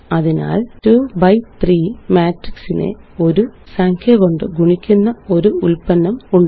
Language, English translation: Malayalam, So there is the product of multiplying a 2 by 3 matrix by a number